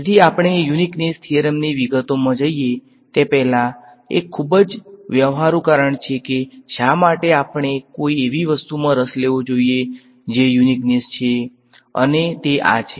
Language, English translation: Gujarati, So, before we go in to the details of the uniqueness theorem, there is a very practical reason why we should be interested in something which is uniqueness and that is this